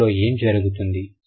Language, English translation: Telugu, So, in this case what happens